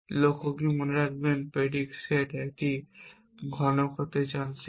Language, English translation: Bengali, Remember what does the goal is the set of predicate set a want to be cube